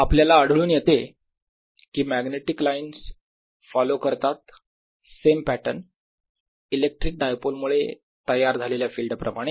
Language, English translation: Marathi, what is found is that these magnetic lines pretty much follow the same pattern as the field due to an electric dipole